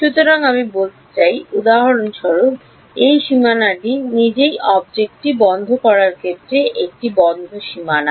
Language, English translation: Bengali, So, I mean, for example, this boundary itself is a closed boundary in closing the object ok